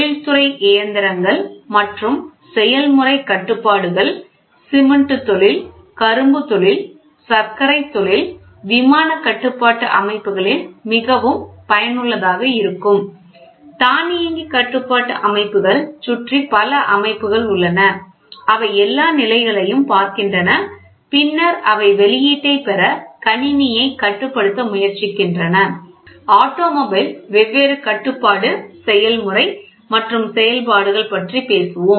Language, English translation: Tamil, So, industrial machines and process control this is useful in cement industry, sugarcane industry, sugar industry, aircraft control systems; here also, there are several systems around a plane they look at all the conditions and then they try to control the system to get the output, automotive control systems all these things are available today